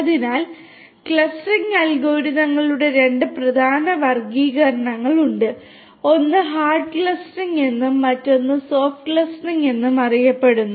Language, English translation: Malayalam, So, there are two main classifications of clustering algorithms one is known as hard clustering and the other one is known as soft clustering